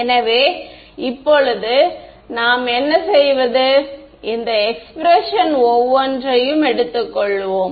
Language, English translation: Tamil, So, now, what do we do we will take these guys each of this expression